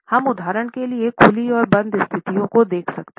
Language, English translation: Hindi, We can for instance look at the open and close sitting situations